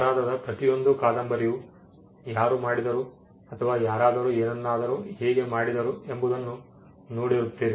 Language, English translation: Kannada, You would have seen that almost every novel in crime could either be a whodunit or how somebody did something